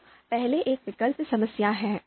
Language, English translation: Hindi, So first one is choice problem